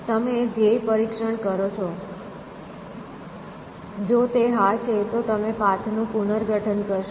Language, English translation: Gujarati, You do the goal test; if it is yes then you reconstruct the path